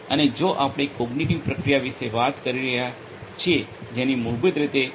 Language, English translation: Gujarati, And if we are talking about cognitive processing that basically is computationally intensive